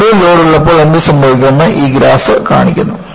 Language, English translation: Malayalam, And, this graph shows, what happens, when I have over load